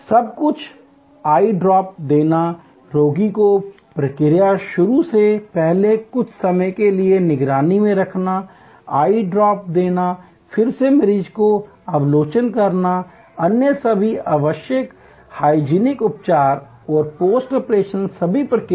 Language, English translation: Hindi, Everything, else giving eye drops, keeping the patient under observation for some time before the process starts, giving the eye drop, again observing the patient, all the other necessary hygienic treatments and post operation all the process